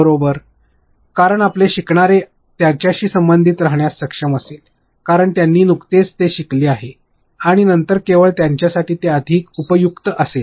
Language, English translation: Marathi, Because your learners will be able to relate to it, because they have just learnt it and later on it will only may being more useful to them